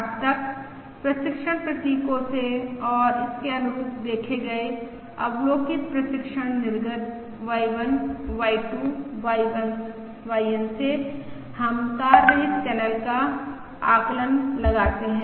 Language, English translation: Hindi, Yet from the training symbols and the observed corresponding observed training outputs Y1, Y2… YN we estimate the wireless channel